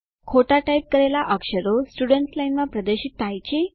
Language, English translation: Gujarati, Do you see that mistyped character displayed in the students line.It is not displayed